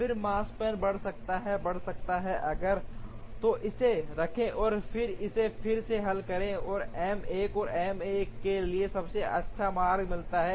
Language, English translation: Hindi, Then the Makespan can increase, may increase if, so keep that and then solve it again for M 1 to get the best route for M 1